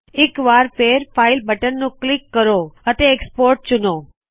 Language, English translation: Punjabi, Let us click the file button once again and choose export